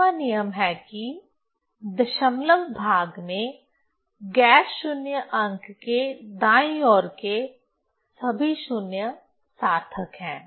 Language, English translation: Hindi, So, 5th rule is all 0 to the right of the non zero digit in the decimal part are significant